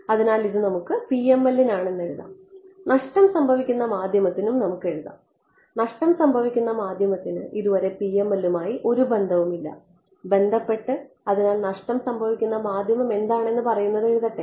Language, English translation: Malayalam, So, this is for let us just write it this is for PML ok, let us write down for lossy; lossy medium has no relation so, far with PML right let just write down what the lossy medium says for us